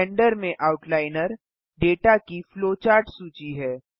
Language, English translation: Hindi, The Outliner is a flowchart list of data in Blender